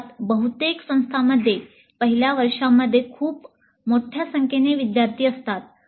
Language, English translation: Marathi, And obviously most of the institutes have a very large number of students in the first year